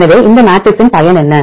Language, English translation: Tamil, So, what is usefulness of this matrix